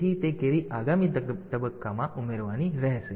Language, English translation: Gujarati, So, that carry has to be added in the next phase